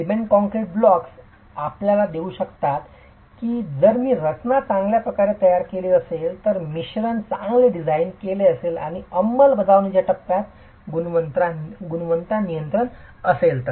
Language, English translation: Marathi, The cement concrete blocks can give you that if the design is well, if the mix is well designed and quality control in the execution faces is there